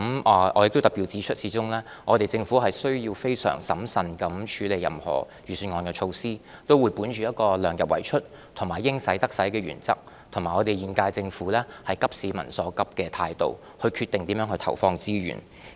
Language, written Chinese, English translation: Cantonese, 我要特別指出，始終政府需要非常審慎地處理任何預算案的措施，我們會本着量入為出及"應使則使"的原則，並以現屆政府急市民所急的態度，決定如何投放資源。, I have to point out particularly that after all the Government needs to be very prudent in dealing with any measure in the Budget . When deciding how to inject our resources we will adhere to the principles of keeping expenditure within the limits of revenues and allocating resources where they are required as well as follow the manner of the incumbent Government in addressing the communitys pressing needs